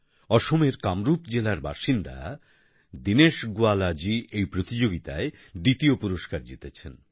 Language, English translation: Bengali, Dinesh Gowala, a resident of Kamrup district in Assam, has won the second prize in this competition